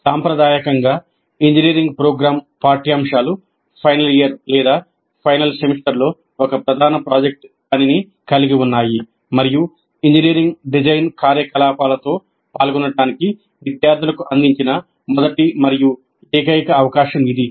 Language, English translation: Telugu, Traditionally, engineering program curricula included a major project work in the final year or final semester and this was the first and only opportunity provided to the students to engage with engineering design activity